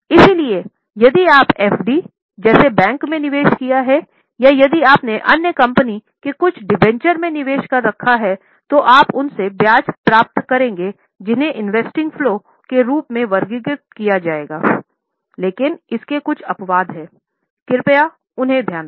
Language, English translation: Hindi, So, if you have made investment in bank like FD or if you have made investment in debenture of some other company, you will receive interest from them that will be categorized as investing flow